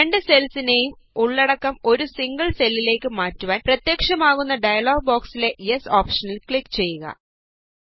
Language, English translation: Malayalam, In order to move the contents of both the cells in a single cell, click on the Yes option in the dialog box which appears